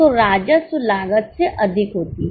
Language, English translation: Hindi, So, the revenue is more than the cost